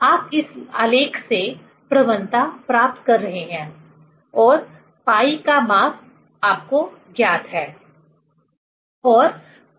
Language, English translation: Hindi, Slope you are getting from this plot and pi value is known to you